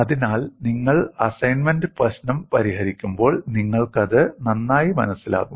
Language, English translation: Malayalam, So, when you solve the assignment problem, you will understand it better